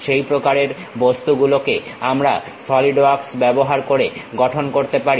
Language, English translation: Bengali, That kind of objects we can construct it using Solidworks